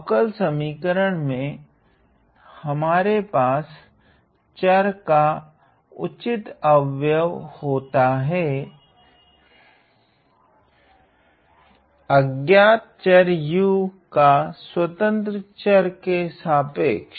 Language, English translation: Hindi, In a differential equation we take the proper derivative of the variable, the unknown variable u, with respect to the independent variable t